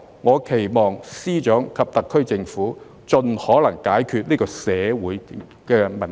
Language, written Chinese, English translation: Cantonese, 我期望司長及特區政府盡可能解決這個社會問題。, I hope that FS and the SAR Government can solve this social problem as far as possible